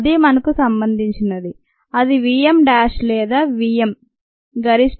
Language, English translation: Telugu, that is how relevance to us it's the v m dash or the v m, the maximum rate